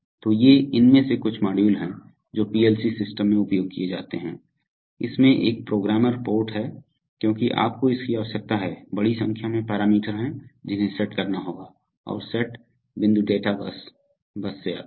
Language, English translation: Hindi, So these are some of these modules which are used in PLC systems, it has a programmer port because you need to, there are, there are large number of parameters which have to be set and set point comes from the data bus